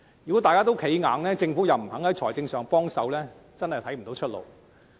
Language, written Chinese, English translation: Cantonese, 如果大家都寸步不讓，而政府又不願意提供財政援助，我真的看不到出路。, If no one budges an inch and the Government remains unwilling to provide financial assistance I do not see any way out